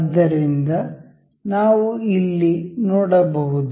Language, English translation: Kannada, So, we will see here